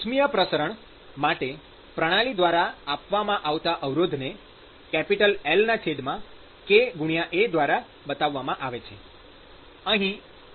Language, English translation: Gujarati, So,the resistance that is offered by the system for thermal diffusion is given by L by kA